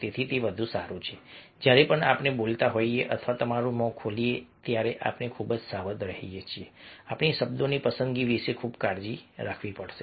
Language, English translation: Gujarati, so it is better that whenever we are speaking or opening your mouth, we should be very cautious, very careful about our choice of words